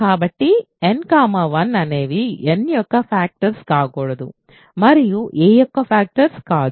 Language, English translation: Telugu, So, n cannot be a factor of 1 n cannot be a factor of a